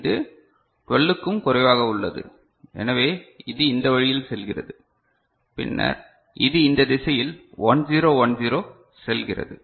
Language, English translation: Tamil, So, it is less than 12, so it go this way then it goes in this direction 1 0 1 0 right